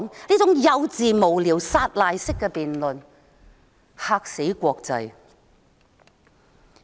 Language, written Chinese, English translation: Cantonese, 這種幼稚、無聊和撒賴式的辯論，簡直便嚇壞國際社會。, This kind of naïve frivolous and irresponsible debates have actually frightened the international community